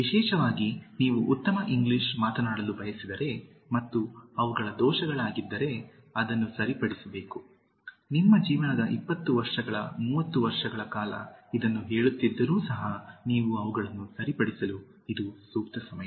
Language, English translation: Kannada, Especially if you want to speak good English and they are errors which should be corrected even if you have been saying this maybe for 20 years30 years of your life time it’s high time you get them corrected now, okay